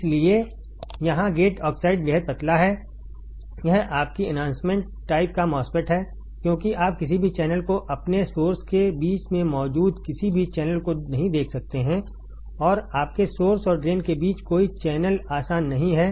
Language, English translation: Hindi, So, here the gate oxide is extremely thin this is your enhancement MOSFET because you cannot see any channel any channel present between your source and drain there is no channel between your source and drain easy